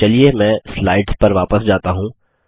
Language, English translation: Hindi, Let me go back to the slides